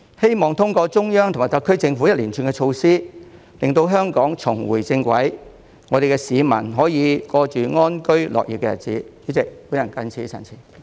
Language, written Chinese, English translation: Cantonese, 希望通過中央及特區政府一連串措施，令香港重回正軌，市民可以過着安居樂業的日子。, It is hoped that through the series of measures implemented by the Central Government and the SAR Government Hong Kong will return to the normal track and the public can live in peace and work happily